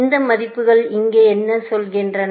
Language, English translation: Tamil, What are these values saying here